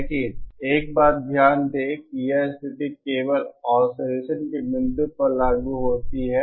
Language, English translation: Hindi, But note one thing that this condition is applicable only at the point of oscillation